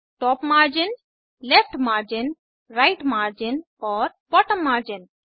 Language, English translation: Hindi, Top margin, Left margin, Right margin and Bottom margin